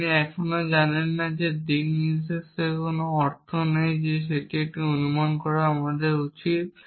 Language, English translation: Bengali, You still do not know there is no sense of direction saying that this is an inference I should make